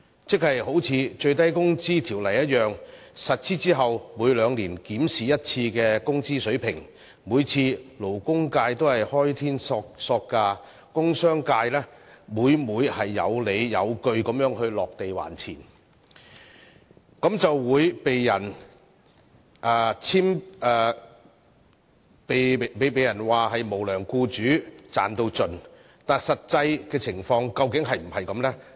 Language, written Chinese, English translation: Cantonese, 一如《最低工資條例》的情況，在實施後每兩年一次的工資水平檢討中，勞工界都"開天索價"，而工商界每每有理有據地"落地還錢"，卻被人指責為"無良僱主"、"賺到盡"，但實際情況究竟是否這樣呢？, As with the biennial wage level review conducted after the commencement of the Minimum Wage Ordinance the labour sector has often been found proposing a huge wage increase . Even though the industrial and commercial sectors would invariably drive a bargain with justifications they were criticized for being unscrupulous employers or maximizing their profits . However was it the actual case?